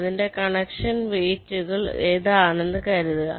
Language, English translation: Malayalam, let say the connection weights are like this